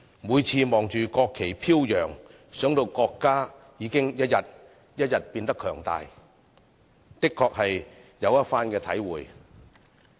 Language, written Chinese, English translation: Cantonese, 每次看着國旗飄揚，想到國家已經一天一天變得強大，的確有一番體會。, Whenever I see the flying of the national flag and think about our country becoming more and more powerful day after day I do have strong feelings welling up in me